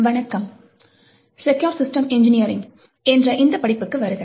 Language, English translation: Tamil, Hello, and welcome to this course of Secure Systems Engineering